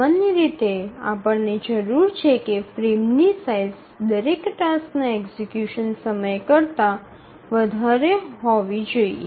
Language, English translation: Gujarati, So normally we would need that a frame size should be larger than the execution time of every task